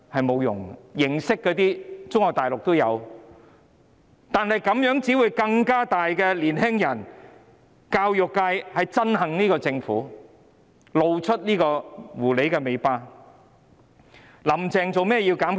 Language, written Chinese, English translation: Cantonese, 沒有用的，中國大陸也有這些形式，但這樣做只會令更多年輕人、教育界憎恨政府，他們已經露出狐狸尾巴。, Such formalities are also found in Mainland China . But by doing so they will only make more young people and members of the education sector hate the Government . They have revealed their hidden agenda